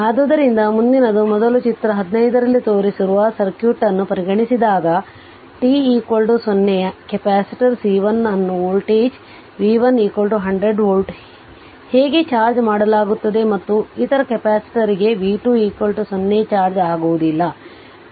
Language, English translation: Kannada, So, next is consider the circuit shown in figure 15 prior to t 0 t is equal to 0, the capacitor C 1 is charged to a voltage v 1 is equal to 100 volt and the other capacitor has no charge that is v 2 is equal to 0 right that is uncharged